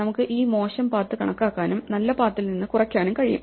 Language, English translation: Malayalam, So, we can count these bad paths and subtract them from the good paths